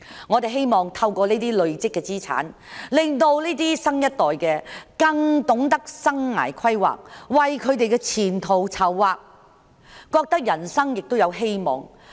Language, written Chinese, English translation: Cantonese, 我們希望透過累積資產，令下一代更懂得生涯規劃，為自己的前途籌劃，覺得人生有希望。, We hope that by accumulating assets the next generation will better understand career planning and chart their future so that they can feel the hope in life